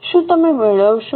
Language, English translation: Gujarati, Are you getting